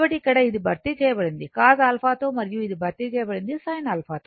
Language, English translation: Telugu, So, that is why here this one is replaced by cos alpha and this one is replaced by sin alpha, right